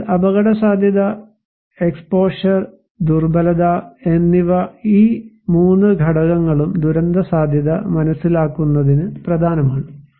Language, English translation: Malayalam, So, hazard, exposure and vulnerability these 3 components are important to understand disaster risk